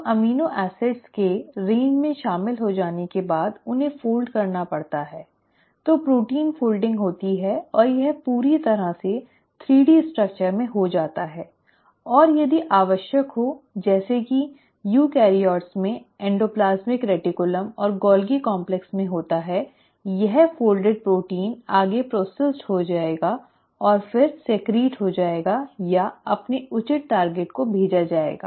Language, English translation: Hindi, So after the amino acids have joined in the range, they have to be folded, so protein folding happens and this gets completely into a 3 D structure and if further required as it happens in endoplasmic reticulum and the Golgi complex in eukaryotes this folded protein will get further processed and then secreted or sent to its appropriate target